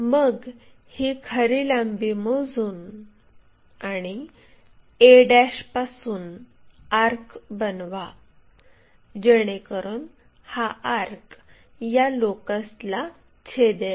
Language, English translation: Marathi, Once, we know that true length measure it from a' make an arc to cut this locus